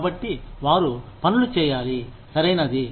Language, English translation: Telugu, So, they need to do things, right